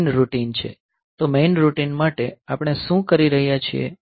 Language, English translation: Gujarati, So, this is the main routine; so, main routine what are we doing